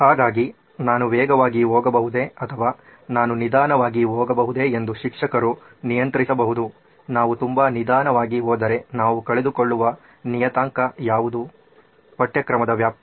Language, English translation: Kannada, So this is what the teacher can control whether I can go fast, or whether I can go slow, what’s the parameter that we are losing out on if we go very slow is the extent of syllabus